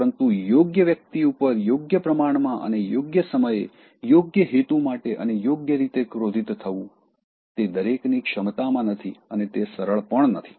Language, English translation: Gujarati, “But to be angry with the right person, and to the right degree and at the right time, for the right purpose and in the right way, that is not within everybody’s power and it is not easy